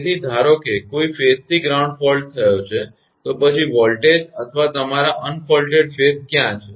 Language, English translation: Gujarati, So, suppose a phase to ground fault has happened then what are the voltages or your un faulted phases